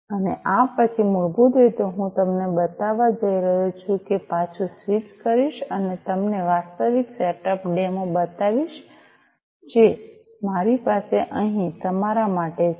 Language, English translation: Gujarati, And after this basically I am going to show you I am going to switch back and show you the actual setup the demo, that I have for you over here